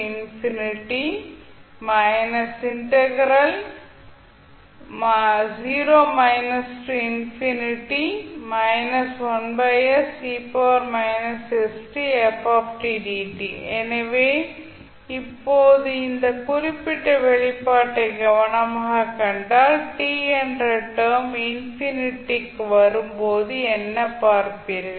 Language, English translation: Tamil, Now if you see carefully this particular expression what you will see when the term t tends to infinity